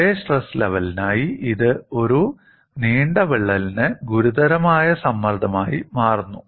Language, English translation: Malayalam, For the same stress level, it becomes a critical stress for a longer crack